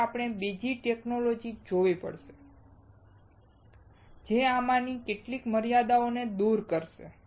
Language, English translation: Gujarati, So, we have to see another technology, which will overcome some of these limitations